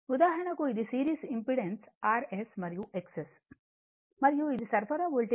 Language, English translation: Telugu, For example this is my series impedance R S and X S and this is my supply voltage V